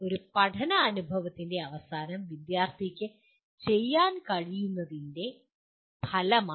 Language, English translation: Malayalam, An outcome is what the student is able to do at the end of a learning experience